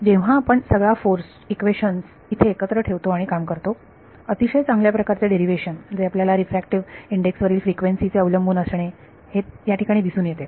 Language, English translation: Marathi, So, when you put all the force equations together and work through it is a very elegant derivation which shows you that frequency, the frequency dependence of the refractive index it comes out over there